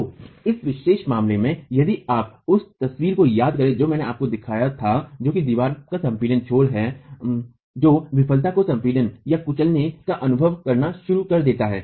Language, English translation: Hindi, So, in this particular case, if you the photograph that I had shown you which is the compressed end of the wall starts experiencing crushing failure